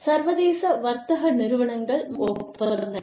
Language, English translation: Tamil, International trade organizations and agreements